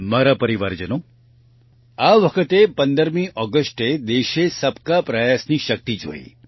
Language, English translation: Gujarati, My family members, this time on 15th August, the country saw the power of 'Sabka Prayas'